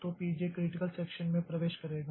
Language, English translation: Hindi, J will enter into the critical section